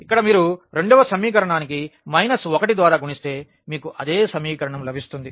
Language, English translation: Telugu, Here if you multiply by minus 1 to the second equation you will get the same equation